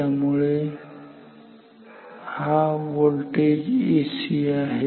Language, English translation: Marathi, So, this voltage is AC